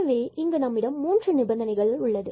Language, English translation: Tamil, So, we have these 3 conditions